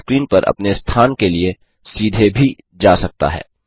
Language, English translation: Hindi, It can also jump directly to a position on the screen